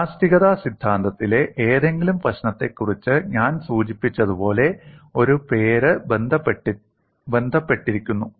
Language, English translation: Malayalam, And as I mention for any of the problem in theory of elasticity a name is associated